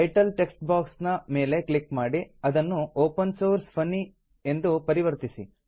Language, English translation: Kannada, Click on the Title text box and change the title to Opensource Funny